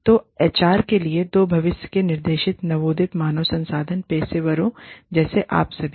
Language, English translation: Hindi, So, two future directions for HR, budding HR professionals, like you all